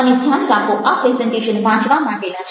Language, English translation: Gujarati, and, mind you, these presentations are to be read